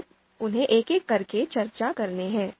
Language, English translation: Hindi, So let’s discuss them one by one